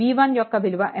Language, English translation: Telugu, V 1 is equal to how much